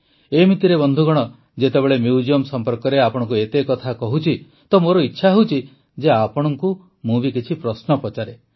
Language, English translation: Odia, By the way, friends, when so much is being discussed with you about the museum, I felt that I should also ask you some questions